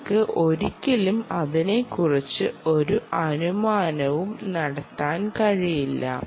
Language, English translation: Malayalam, you can never, never make an assumption about that